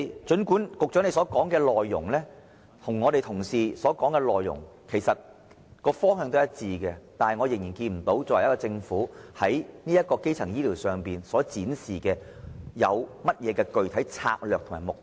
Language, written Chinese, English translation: Cantonese, 儘管局長與我們一班同事所說的內容方向一致，然而，我仍然看不見政府在基層醫療方面，有何具體策略及目標。, The Secretarys remarks and Members ideas share the same direction but as far as I can observe the Government has not drawn up any specific strategies or plans on primary health care